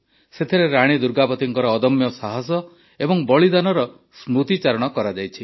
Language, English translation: Odia, In that, memories of the indomitable courage and sacrifice of Rani Durgavati have been rekindled